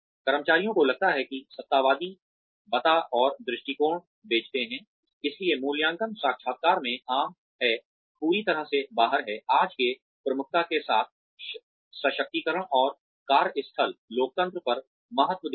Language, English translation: Hindi, Employees feel that, the authoritarian tell and sell approach, so common in appraisal interviews, is completely out of step, with today's emphasis, emphases on empowerment and workplace democracy